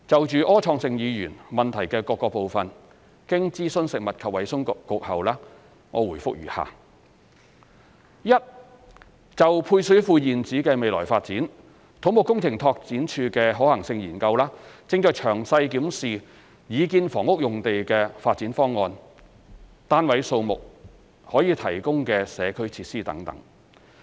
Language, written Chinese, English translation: Cantonese, 就柯創盛議員質詢的各部分，經諮詢食物及衞生局後，我答覆如下：一就配水庫現址的未來發展，土木工程拓展署的可行性研究正詳細檢視擬建房屋用地的發展方案、單位數目和可提供的社區設施等。, Having consulted the Food and Health Bureau FHB the reply to the various parts of Mr Wilson ORs question is as follows 1 Regarding the future development of the existing site of the service reservoirs CEDD is currently carrying out the Study to formulate the development proposal for the proposed housing site the number of flats and the community facilities to be provided etc